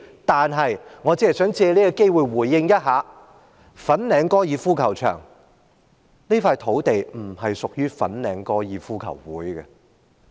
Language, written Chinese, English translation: Cantonese, 但是，我只是想藉此機會回應一下，粉嶺高爾夫球場這塊土地並不屬於香港哥爾夫球會。, Nevertheless I only want to take this opportunity to say that the site of the Fanling Golf Course does not belong to the Hong Kong Golf Club